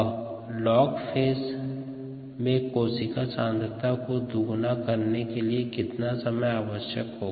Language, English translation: Hindi, what is the time needed for the cell concentration to double in the log phase